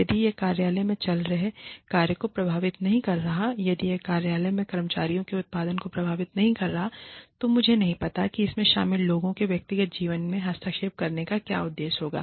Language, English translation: Hindi, If it is not affecting the work, that is going on in the office, if it is not affecting the output, of the employees, in the office, i do not know, what purpose, it would serve, to intervene in the personal lives, of the people, involved